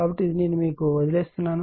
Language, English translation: Telugu, So, this one I am leaving up to you right